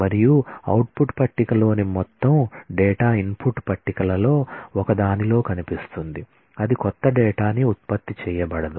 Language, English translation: Telugu, And all data in the output table appears in one of the input tables that is no new data gets generated